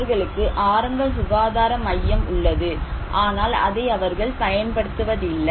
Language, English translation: Tamil, They have health center but, people are not using that